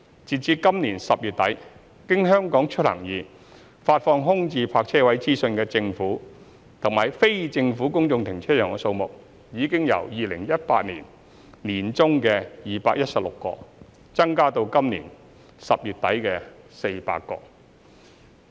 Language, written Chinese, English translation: Cantonese, 截至今年10月底，經"香港出行易"發放空置泊車位資訊的政府及非政府公眾停車場數目，已由2018年年中的216個增加至今年10月底的400個。, As at the end of October this year the number of government and non - government car parks disseminating information and data on vacant parking spaces via HKeMobility has increased from 216 in mid - 2018 to 400 at the end of October this year